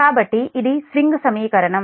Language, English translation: Telugu, so this is the swing equation